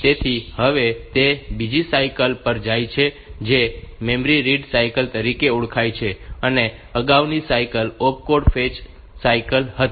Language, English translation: Gujarati, So now, it goes to another cycle which is known as memory read cycle previous cycle was opcode fetch cycle